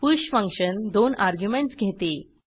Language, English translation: Marathi, join function takes 2 arguments